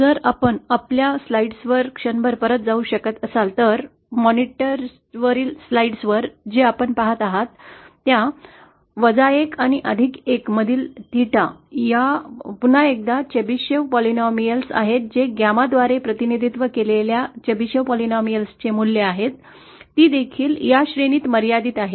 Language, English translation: Marathi, If you can for a moment go back to our slides, monitor slides what you see is for theta these are the chevsif polynomials once again, for theta between minus one and plus one the value of the Chebyshev polynomials represented by this gamma is also confined to this range, that is minus one, plus one